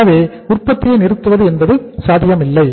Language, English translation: Tamil, So it was not possible to stop the production